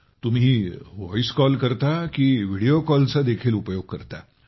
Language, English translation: Marathi, Do you talk through Voice Call or do you also use Video Call